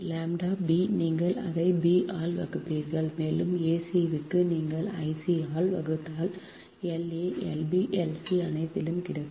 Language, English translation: Tamil, for lambda b, you will divide it by i b and for lambda c, you will divide by i, c, such that l, a, l, b, l, c, all will get